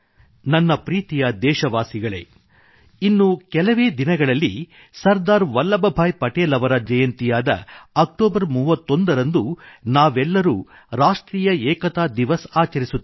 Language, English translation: Kannada, In a few days we will celebrate Sardar Vallabh Bhai Patel's birth anniversary, the 31st of October as 'National Unity Day'